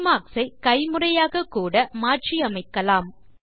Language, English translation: Tamil, You can also rearrange the bookmarks manually